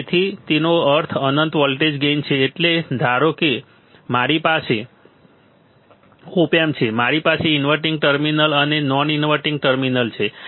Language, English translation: Gujarati, So, that mean that what does it mean infinite voltage gain means suppose I have a op amp suppose I have op amp and I have inverting terminal non inverting terminal right